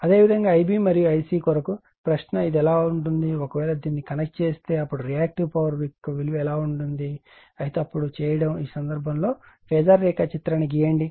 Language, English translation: Telugu, Similarly, for I v n I c , the question is , how it will be , if, you to connect this , how it what is the value of then Reactive Power; however, doing it then , in this case you draw the phasor diagram